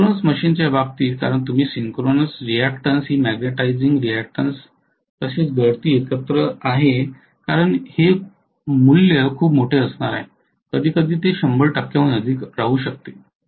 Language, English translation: Marathi, In the case of synchronous machine because your synchronous reactance is the magnetizing reactance plus the leakage together I am going to have this to be a very very large value, it can be greater than 100 percent sometimes